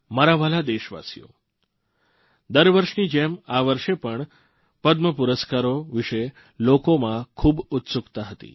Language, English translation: Gujarati, My beloved countrymen, this year too, there was a great buzz about the Padma award